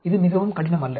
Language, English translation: Tamil, It is not very difficult